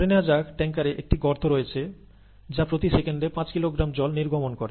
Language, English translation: Bengali, Suppose, there is a hole in the tanker, which oozes water at the rate of five kilogram per second